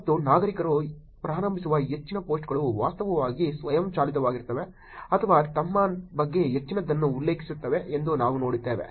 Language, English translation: Kannada, And we see that most of the post that the citizens initiate, are actually self driven or mentions more of themselves